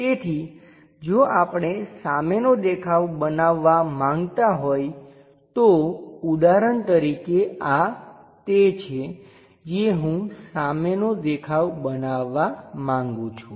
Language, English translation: Gujarati, So, front view if we are going to construct it for example, this is the thing what I would like to construct front view